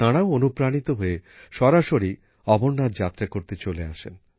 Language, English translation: Bengali, They got so inspired that they themselves came for the Amarnath Yatra